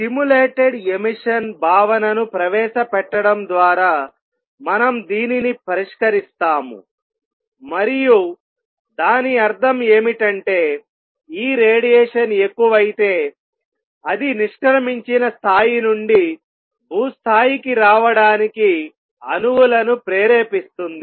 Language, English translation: Telugu, We resolve this, resolve this by introducing the concept of stimulated emission and what that means, is that this radiation which is there if it becomes more and more it will also stimulate atoms to come down from a exited level to ground level